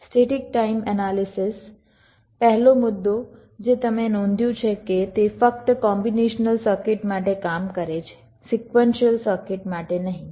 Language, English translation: Gujarati, static timing analysis: ah, the first point, you notice that it works only for a combination circuit, not for a sequential circuit